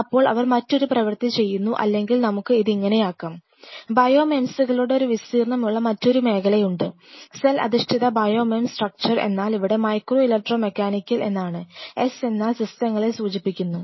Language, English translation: Malayalam, Then they do a different kind of or let us put it like this, there is another emerging area where there is a area of bio mems, cell based bio mems structure mems here stands for micro electro mechanical S stand for systems ok